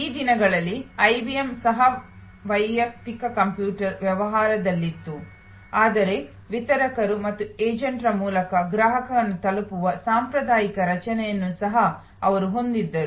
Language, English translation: Kannada, In those days, even IBM was in personal computer business, but they also had the traditional structure of reaching the customer through distributors and agents and so on